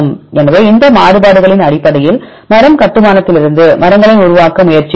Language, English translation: Tamil, So, based on these variabilities we will try to construct trees from the tree construction